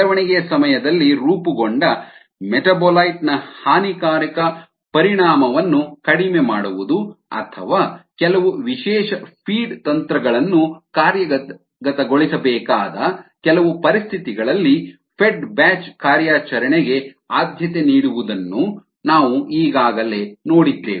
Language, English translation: Kannada, we have already seen that the fed batch operation is is preferred under some conditions, such as minimizing the deleterious effect of a metabolite formed during the cultivation or when some specials feed strategies need to be implemented